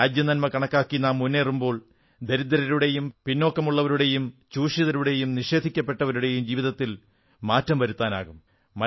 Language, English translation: Malayalam, When we move ahead in the national interest, a change in the lives of the poor, the backward, the exploited and the deprived ones can also be brought about